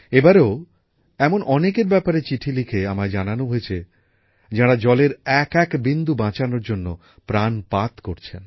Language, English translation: Bengali, This time too I have come to know through letters about many people who are trying their very best to save every drop of water